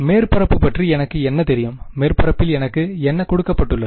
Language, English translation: Tamil, What do I know about the surface, what is been given to me in the surface